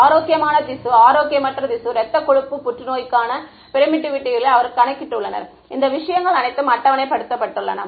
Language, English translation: Tamil, They have calculated permittivity for healthy tissue unhealthy tissue blood fat cancer all of this thing is tabulated